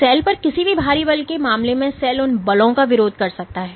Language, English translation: Hindi, So, in the case of any external force on the cell the cell can resist those forces